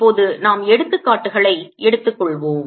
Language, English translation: Tamil, let us now take examples